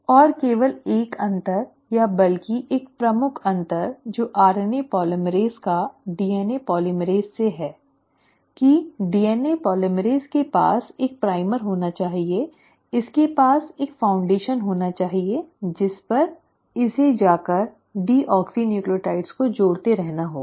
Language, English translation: Hindi, And the only difference, or rather one of the major differences the RNA polymerase has from a DNA polymerase is that DNA polymerase had to have a primer, it had to have a foundation on which it had to then go on adding the deoxynucleotides